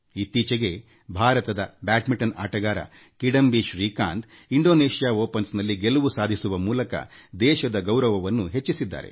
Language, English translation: Kannada, Recently India's Badminton player, Kidambi Shrikant has brought glory to the nation by winning Indonesia Open